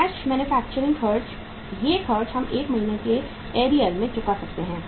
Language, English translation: Hindi, Cash manufacturing expenses these expenses we can pay in uh 1 month in arrears